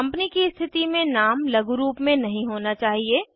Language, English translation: Hindi, In case of a Company, the name shouldnt contain any abbreviations